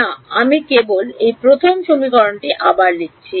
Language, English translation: Bengali, No I have just rewritten this first equation